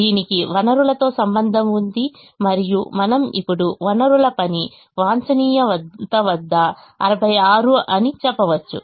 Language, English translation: Telugu, it has to do with the resources and we now say that the work of the resources is sixty six at the optimum